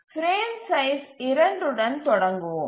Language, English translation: Tamil, Let's start with the frame size 2